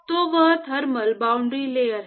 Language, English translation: Hindi, So, that is the thermal boundary layer